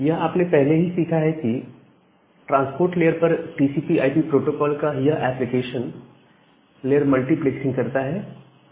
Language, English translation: Hindi, So, these things you have already learnt about that this TCP/IP protocol stack at the transport layer it does application layer multiplexing